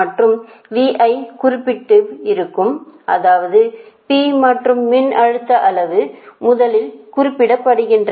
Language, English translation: Tamil, that means p and magnitude, voltage magnitude, are specified first